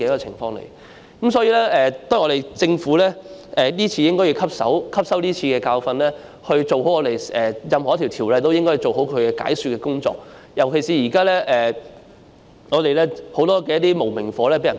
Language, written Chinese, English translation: Cantonese, 因此，我覺得政府應該汲取今次的教訓，對於任何一項條例的修訂，也要做好解說的工作，尤其是現時有很多"無名火"被人撥起。, For this reason I think the Government should learn a lesson this time and properly do the explanatory work in any legislative amendment exercise especially now that a lot of unknown rage has been kindled